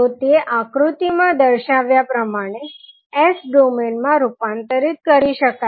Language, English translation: Gujarati, So it will be converted in S domain as shown in the figure